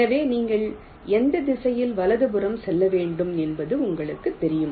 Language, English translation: Tamil, so you know uniquely which direction you have to move right